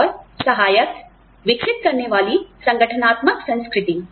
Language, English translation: Hindi, And, supportive nurturing organizational culture